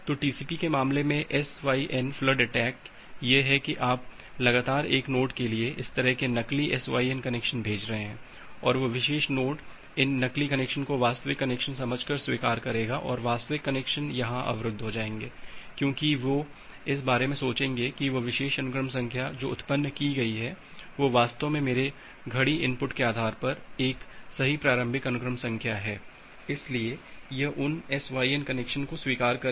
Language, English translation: Hindi, So, in case of TCP the SYN flood attack is that you are continuously sending this kind of spurious SYN connection to a node and that particular node will accept those connection at a genuine connection and they will get blocked here, because, they will think of that that particular initial sequence number which is been generated, it is it is indeed a correct initial sequence number based on my clock input, so it will accept those SYN connection